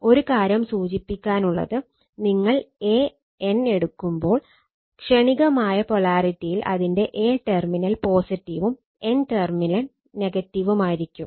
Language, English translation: Malayalam, Only one thing I tell when you say a n, you take a terminal is positive, and n terminal is your what you call negative right in instantaneous polarity in instantaneous polarity